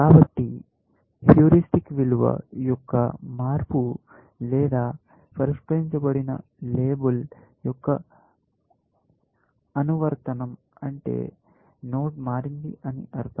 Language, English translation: Telugu, So, either a change of heuristic value, or the application of solved label means that the node has changed